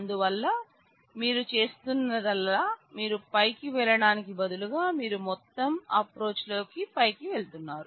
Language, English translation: Telugu, So, all that you are doing is instead of going top down you are going bottom up in the whole approach